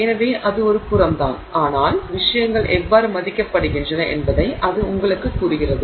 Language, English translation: Tamil, So, that's just an aside but that tells you how things are valued